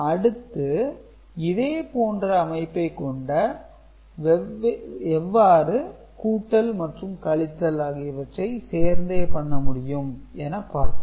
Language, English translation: Tamil, Now, we look at how we can get within the same arrangement, same framework both addition and subtraction